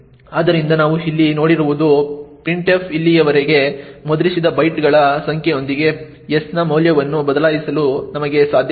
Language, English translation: Kannada, So, what we have seen here is that we have been able to change the value of s with the number of bytes that printf has actually printed so far